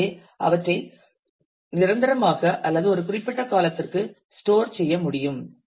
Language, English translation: Tamil, So, they can be stored permanently or for a limited period of time